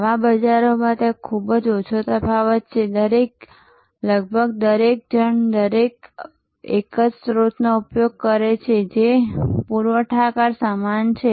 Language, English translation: Gujarati, In such markets, there is a very little distinction almost everybody uses a same source, the suppliers are the same